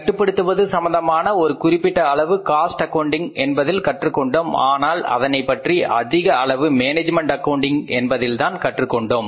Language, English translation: Tamil, So, to some extent we learned under cost accounting that cost reduction process but largely we learned under management accounting